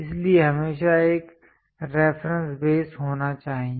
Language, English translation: Hindi, So, that there always be a reference base